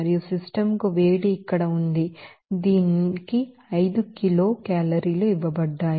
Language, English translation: Telugu, And heat to the system is here it is given 5 kilo calorie